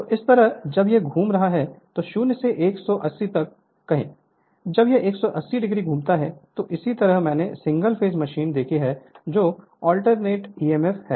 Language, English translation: Hindi, So, this way when it is revolving say 0 to your 180, when it rotates 180 degree this is the same way we have seen single phase machine that alternating emf